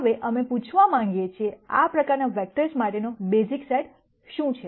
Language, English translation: Gujarati, Now, what we want to ask is, what is the basis set for these kinds of vectors